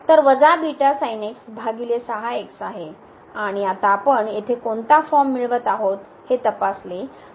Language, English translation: Marathi, So, it is a minus beta and divided by and now if we check what form we are getting now here